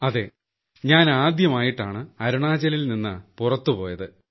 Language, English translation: Malayalam, Yes, I had gone out of Arunachal for the first time